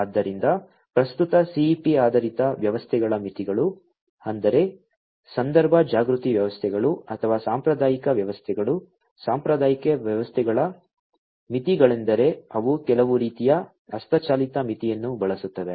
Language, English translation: Kannada, So, the limitations of the current CEP based systems; that means, the context aware systems is or the traditional systems I am sorry that limitations of the traditional systems are that they use some kind of manual thresholding